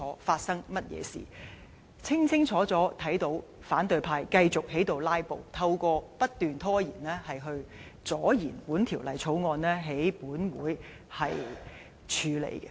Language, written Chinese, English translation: Cantonese, 大家清清楚楚看到，反對派繼續"拉布"，透過不斷拖延，阻延本會處理這《條例草案》。, All can see clearly that the opposition camp have kept filibustering and putting up different delays to stalling this Councils handling of the Bill